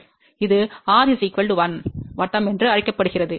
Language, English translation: Tamil, This is known as r equal to 1 circle